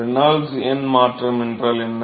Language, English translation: Tamil, What is the Reynolds number transition